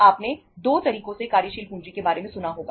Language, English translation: Hindi, You might have heard about the working capital in 2 ways